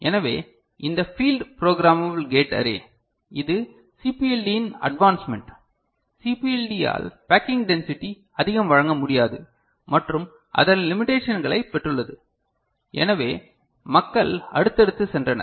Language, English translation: Tamil, So, this field programmable gate array, so this is further you know advancement of CPLD, CPLD cannot provide much of a you know packing density and has got its limitations, so people have moved forward